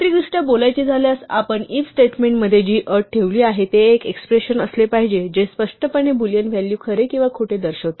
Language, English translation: Marathi, Technically speaking, the condition that we put into an 'if statement' must be an expression that explicitly returns Boolean value true or false